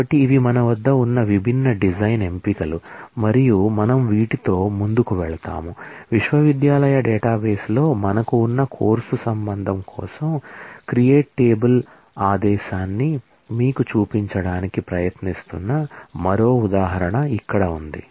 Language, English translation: Telugu, So, these are the different design choices that we have and we will move on, here is one more example trying to show you the create table command for the course relation, that we have in the university database